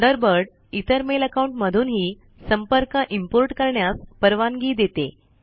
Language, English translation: Marathi, Thunderbird allows us to import contacts from other Mail accounts too